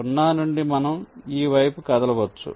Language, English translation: Telugu, so from zero we can move this side